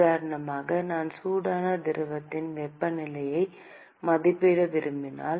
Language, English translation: Tamil, For example, if I want to estimate the temperature of the hot fluid